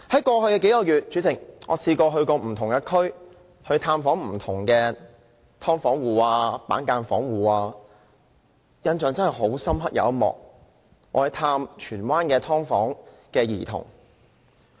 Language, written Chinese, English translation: Cantonese, 代理主席，在過去數個月，我曾到不同地區探訪不同的"劏房戶"和板間房戶，印象很深刻的一幕是探訪荃灣的"劏房"兒童。, Deputy President in the past few months I visited the people living in subdivided units and partitioned units in different districts . I still find the children living in subdivided units in Tsuen Wan unforgettable